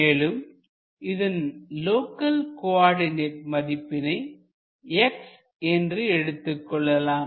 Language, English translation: Tamil, So, its local x coordinate is x